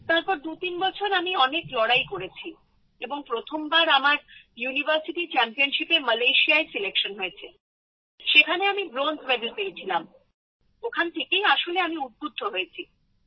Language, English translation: Bengali, Then I struggled a lot for 23 years and for the first time I got selected in Malaysia for the University Championship and I got Bronze Medal in that, so I actually got a push from there